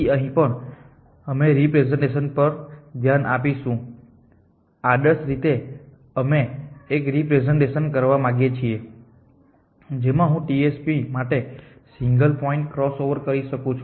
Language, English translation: Gujarati, So, will look at representation here also, ideally we would like to have a representation in which I can do single point cross over for TSP